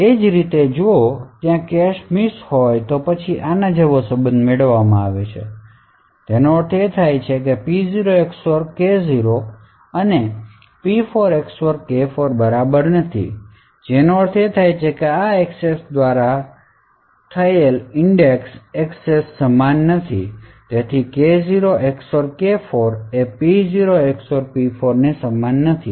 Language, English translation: Gujarati, Similarly if there is a cache miss then a relation such as this is obtained and it would mean that P0 XOR K0 is not equal to P4 XOR K4 which means that the index accessed by this in this access and this access are not the same and therefore K0 XOR K4 is not equal to P0 XOR P4